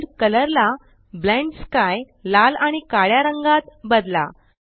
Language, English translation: Marathi, Change world colour to Blend sky Red and black